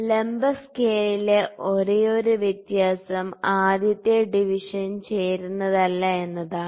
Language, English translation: Malayalam, The only difference in the vertical scale was at that the first division was not coinciding